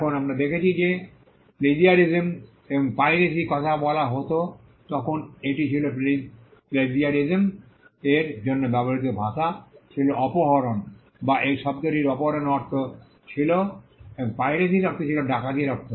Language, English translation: Bengali, Now, we saw that when plagiarism and piracy was mentioned it was the language used to refer to plagiarism was kidnapping, or the word had a meaning of kidnapping and piracy had the meaning of robbery